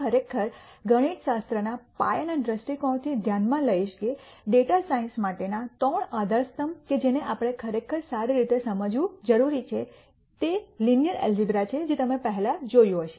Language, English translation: Gujarati, I would really consider from a mathematical foundations viewpoint that the three pillars for data science that we really need to understand quite well are linear algebra which you already seen before